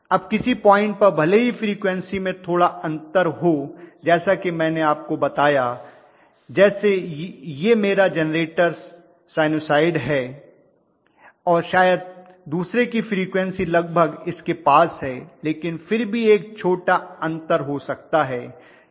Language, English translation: Hindi, Now at some point even if there is a small difference in frequency as I told you this is my generator sinusoid and maybe the other one is almost close in frequency but still there is a small variation may be